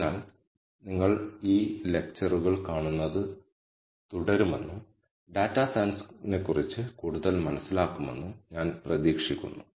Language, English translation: Malayalam, So, I hope to see you continue these lectures and understand more of data science